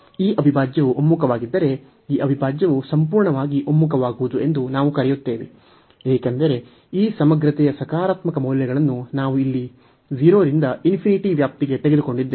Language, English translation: Kannada, So, if this integral converges, we call that this integral converges absolutely, because we have taken the positive values of this integrant for the range here 0 to infinity